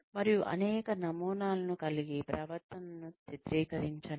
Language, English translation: Telugu, And, have several models, portray the behavior